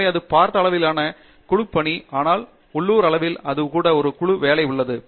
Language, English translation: Tamil, So, thatÕs teamwork in a grander scale, but there is team work even it at a local scale